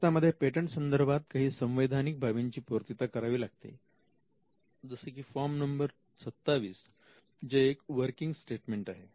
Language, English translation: Marathi, Now, in India there are certain statutory requirements like form 27, which is a working statement